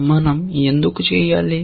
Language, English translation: Telugu, Why should we do that